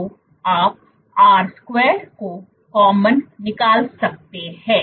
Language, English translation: Hindi, So, you can take out R square common